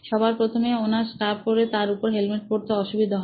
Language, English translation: Bengali, First of all, she finds it hard to wear a scarf and a strap a helmet on top of it